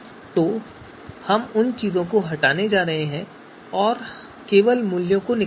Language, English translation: Hindi, So we are going to remove you know those things and just extract the values here